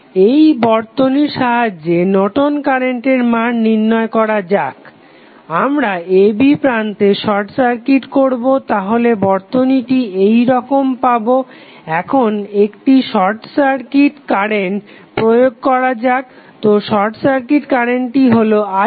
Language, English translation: Bengali, Let us do the calculation of Norton's current with the help of the circuit we will just simply short circuit the terminal a, b so the circuit would be let us apply here the short circuit current so here you have short circuit current i sc